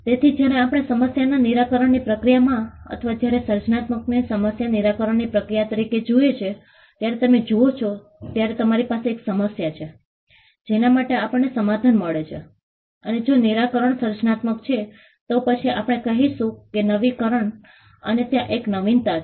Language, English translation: Gujarati, So, when we look at the problem solution approach in or when we look at creativity as a process of problem solving, you have a problem for which we find the solution and if the solution is creative then we call that as innovation there is an innovation